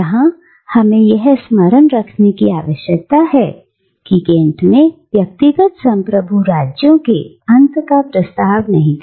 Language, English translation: Hindi, But here we need to remember that Kant does not propose the end of individual sovereign states